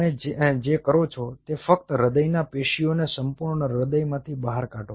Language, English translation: Gujarati, you just take out the heart tissue, the complete heart